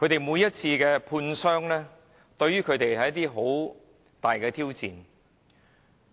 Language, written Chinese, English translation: Cantonese, 每次判傷過程，對他們來說都是很大的挑戰。, The medical examination process is a big challenge for them